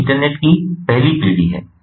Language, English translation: Hindi, this is the first generation of the internet